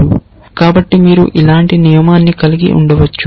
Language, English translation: Telugu, So, you can have a rule like this